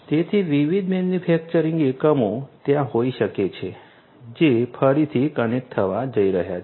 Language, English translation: Gujarati, So, different manufacturing units might be there which again are going to be connected right